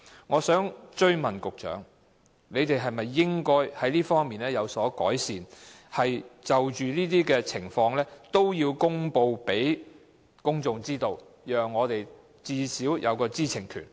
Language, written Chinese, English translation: Cantonese, 我想追問局長，當局應否就此作出改善，即就着這些情況，均要公布周知，最低限度確保公眾的知情權？, I would like to ask the Secretary again Should improvement measures be adopted by the authorities to ensure that the public are duly informed about this type of incidents so that our right to know is safeguarded to say the least?